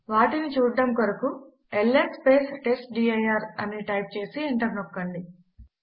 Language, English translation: Telugu, To see them type ls testdir and press enter